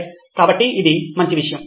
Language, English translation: Telugu, Okay, so that is a good thing